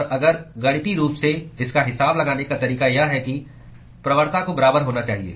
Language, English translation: Hindi, And if the way to account it mathematically is that the gradients have to be equal